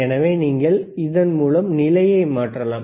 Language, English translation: Tamil, So, you can change the position, you see